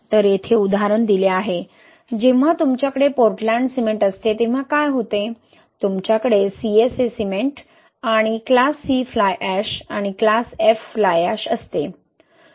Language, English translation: Marathi, So, here is the example, what happens, when you have Portland cement, you have CSA cement and class C fly ash and class F fly ash